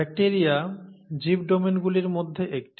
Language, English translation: Bengali, Life, bacteria is one of the domains